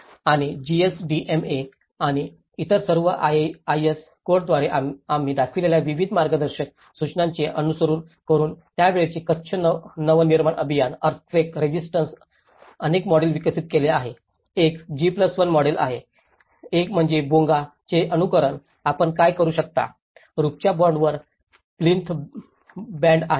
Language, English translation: Marathi, And following various guidelines which we showed by the GSDMA and all others IS codes, Kutch Nava Nirman Abhiyan of that time has developed many of the models earthquake resistant, one is G+1 model, one is the imitation of the Bonga, what you can see is the plinth band, sill band on the roof band